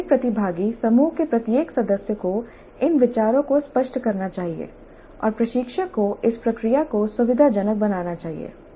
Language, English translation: Hindi, Every participant, every member of the group must articulate these views and instructor must facilitate this process